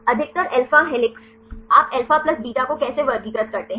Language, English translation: Hindi, Mostly alpha helices how you classify alpha plus beta